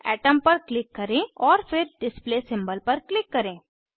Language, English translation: Hindi, Click on Atom and then click on Display symbol